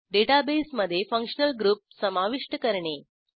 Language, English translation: Marathi, * Add a new functional group to the database